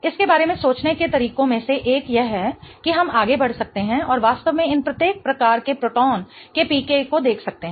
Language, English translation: Hindi, One of the ways to think about it is we can go ahead and really look at the PKs of each of these types of protons